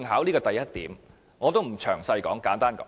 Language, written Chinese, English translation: Cantonese, 這是第一點，我不詳細講述了。, This is my first point and I will not go into the details